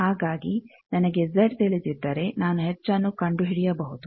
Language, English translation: Kannada, So, if I know Z I can go to H also